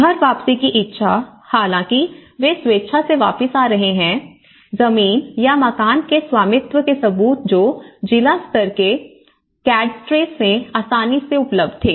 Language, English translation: Hindi, Willingness of household to return, so however, they are coming back with voluntarily they are coming back, evidence of land or house ownership which was readily available in district level cadastres